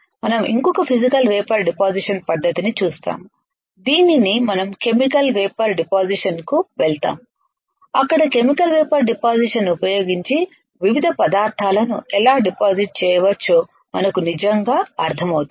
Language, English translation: Telugu, We will see one more Physical Vapor Deposition technique that is called sputtering and then we move to Chemical Vapor Deposition where we really understand how we can deposit the different materials using Chemical Vapor Deposition